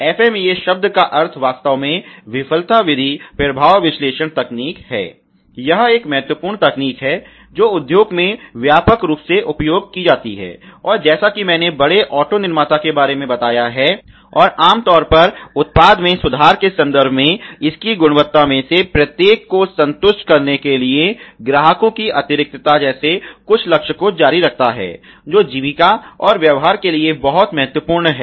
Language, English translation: Hindi, So the term FMEA actually means failure mode effect analysis, it is an important technique, that is widely used in industry ok and as I told big auto manufacturer and also typically the goal is continues product the improvement in terms of its quality to satisfies some each of the customer extract which are very, very important for sustains and business